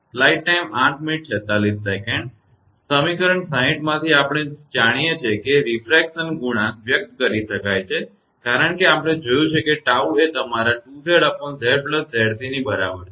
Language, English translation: Gujarati, Ah from equation 60 we know the refraction coefficient can be expressed as this we have seen that tau is equal to your 2 Z upon Z plus Z c